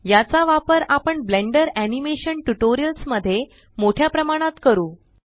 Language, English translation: Marathi, We will use this a lot in the Blender Animation tutorials